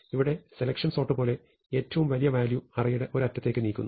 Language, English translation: Malayalam, So, then you have like selection sort, the largest value at one end